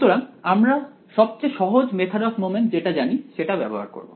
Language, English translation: Bengali, So, we will use the simplest method of moments that we know